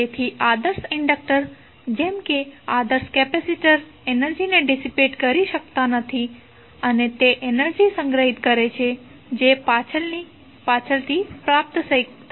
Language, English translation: Gujarati, Therefore, the ideal inductor, like an ideal capacitor cannot decapitate energy and it will store energy which can be retrieve at later time